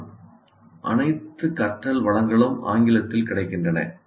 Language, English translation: Tamil, But all learning resources are available in English